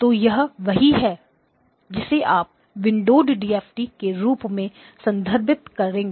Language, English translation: Hindi, So this is what you would refer to as the windowed DFT